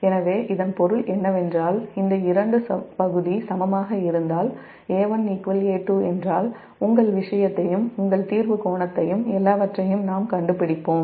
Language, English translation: Tamil, so that means if this two area, i mean if a one is equal to a two, if these two area equal, then we will find out all the your, your, this thing and your clearing angle and everything